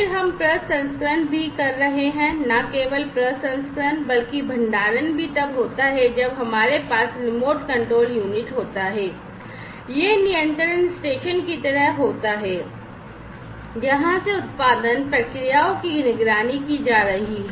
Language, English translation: Hindi, Then we are also the processing not only the processing, but also the storage take place then we have, the remote control unit, this is sort of like the control station from which the production processes over here are all going to be monitored